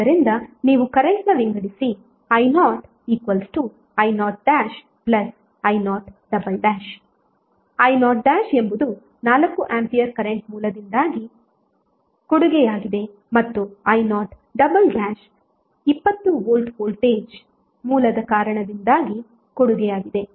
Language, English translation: Kannada, So you divide current i0 as i0 dash and i0 double dash, i0 dash is contribution due to 4 ampere current source and i0 double dash is the contribution due to 20 volt voltage source